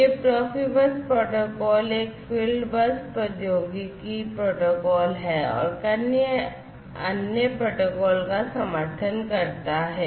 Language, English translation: Hindi, This Profibus protocol is a field bus technology protocol and supports several other protocols